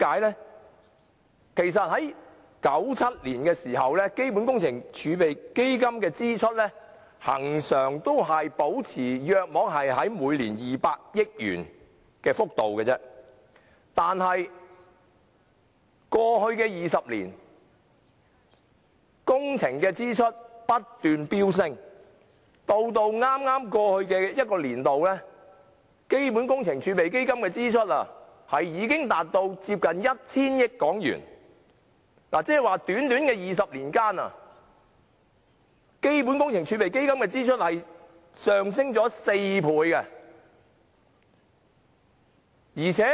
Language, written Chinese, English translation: Cantonese, 在1997年，基本工程儲備基金的支出恆常維持每年約200億元的幅度，但過去20年的工程支出不斷飆升，就在至剛過去的財政年度，基本工程儲備基金的支出已多達約 1,000 億港元，即在短短的20年間，基本工程儲備基金的支出上升了4倍。, In 1997 the expenditure of CWRF was constantly maintained at about 20 billion per year . Nevertheless over the past 20 years the expenditure on projects has been ever - increasing . In the past financial year the expenditure of CWRF was as much as 100 billion which means that within a short period of 20 years the CWRF expenditure has risen by four times